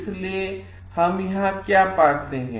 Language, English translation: Hindi, So, what we find over here